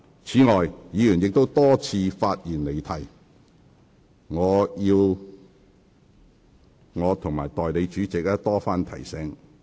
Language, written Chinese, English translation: Cantonese, 此外，議員亦多次發言離題，我和代理主席須多番提醒。, Moreover as some Members had repeatedly digressed from the subject Deputy President and I had to remind them time and again to speak on the subject